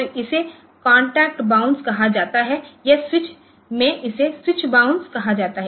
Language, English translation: Hindi, So, this is called contact bounce or the, or in a switch it is called switch bounce